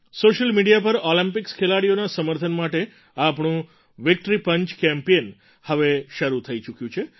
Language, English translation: Gujarati, On social media, our Victory Punch Campaign for the support of Olympics sportspersons has begun